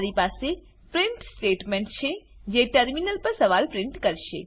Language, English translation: Gujarati, Here I have a print statement, which will print a question on the terminal